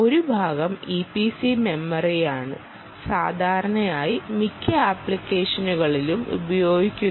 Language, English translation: Malayalam, e p c memory is what is typically used in most applications